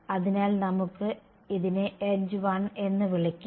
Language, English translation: Malayalam, So, let us called this edge 1